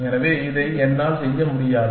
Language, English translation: Tamil, So, I cannot do this